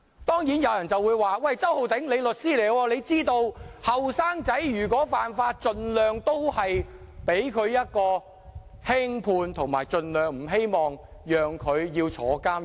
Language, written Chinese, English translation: Cantonese, 當然，有人會說："周浩鼎，你是律師，你知道年青人犯法，法庭會盡量輕判，希望他們盡量不要坐牢"。, Of course some people may say Holden CHOW you being a lawyer yourself should know that for young offenders the Court will hand down punishments as lenient as possible to spare them a prison sentence